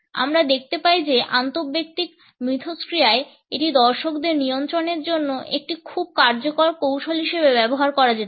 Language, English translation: Bengali, In interpersonal interaction we find that it can be used as a very effective strategy for controlling the audience